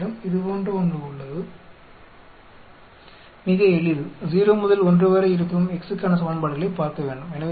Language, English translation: Tamil, You have something like this, quite simple looking equations for x lying between 0 to 1